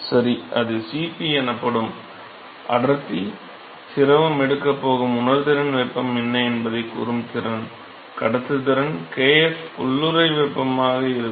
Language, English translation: Tamil, Ok So, that is yeah Cp; density, the capacity which tells you what is the sensible heat that the fluid is going to take, conductivity kf yeah latent heat